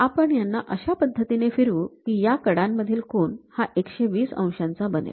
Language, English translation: Marathi, We lift it up in such a way that, these angles makes 120 degrees with each other